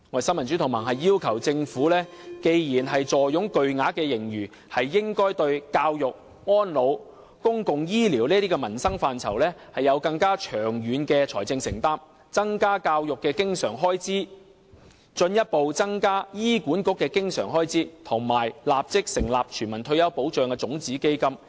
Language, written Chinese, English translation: Cantonese, 新民主同盟要求政府，既然坐擁巨額盈餘，便應該對教育、安老和公共醫療等民生範疇作出更長遠的財政承擔，增加教育的經常性開支，進一步增加醫管局的經常性開支，以及立即成立全民退休保障的種子基金。, The Neo Democrats requests that the Government should given its hefty surplus make longer - term financial commitments in livelihood areas such as education elderly services and public health care . It should increase the recurrent expenditure on education further increase the recurrent expenditure of HA and set up a seed fund for universal retirement protection immediately